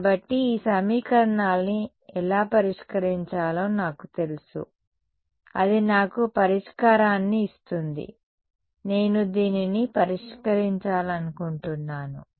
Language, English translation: Telugu, So, I know how to solve this equation it will give me the solution will be what supposing I want to solve this